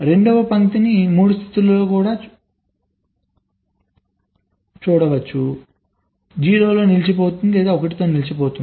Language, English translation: Telugu, third line can also be in three states, good, stuck at zero, stuck at one